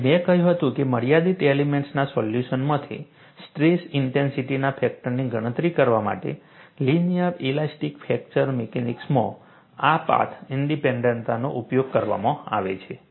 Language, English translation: Gujarati, We have seen its path independence and I said, this path independence is exploited in linear elastic fracture mechanics to calculate stress intensity factor, from finite element solution